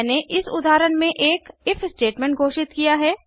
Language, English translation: Hindi, I have declared an if statement in this example